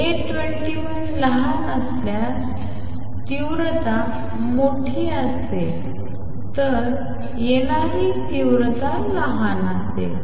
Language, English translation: Marathi, So, intensity would be larger if A 21 is small then the intensity coming would be smaller